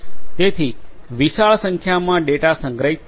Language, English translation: Gujarati, So, huge volumes of data are stored